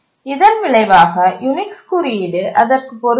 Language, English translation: Tamil, And the result is that Unix code became incompatible